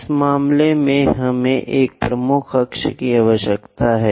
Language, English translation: Hindi, In this case, we require major axis